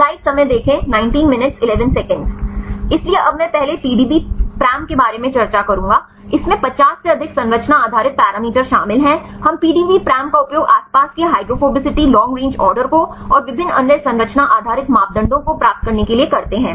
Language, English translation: Hindi, So, now I will see earlier discussed about the PDBparam, it contains more than 50 structure, based parameters we utilize the PDBparam to get the surrounding hydrophobicity long range order right and different other structure based parameters